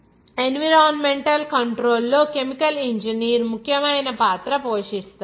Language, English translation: Telugu, And also, chemical engineer plays an important role in environmental control